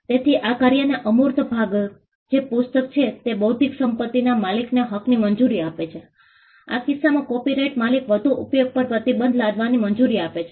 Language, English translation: Gujarati, So, the intangible part of the work which is the book allows the owner of the intellectual property right, in this case the copyright owner to impose restrictions on further use